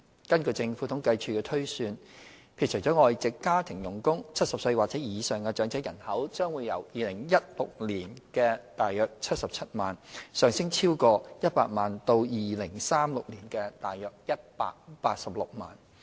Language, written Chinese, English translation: Cantonese, 根據政府統計處的推算，撇除外籍家庭傭工 ，70 歲或以上長者人口將由2016年的約77萬，上升超過100萬至2036年的約186萬。, According to the Census and Statistics Departments projection excluding foreign domestic helpers the number of elderly persons aged 70 or above would increase from about 770 000 in 2016 by over a million to 1.86 million in 2036